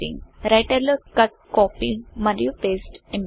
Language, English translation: Telugu, Cut, Copy and paste option in writer